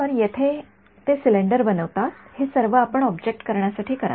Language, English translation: Marathi, So, they making a cylinder over here all of this is what you would do to make the object ok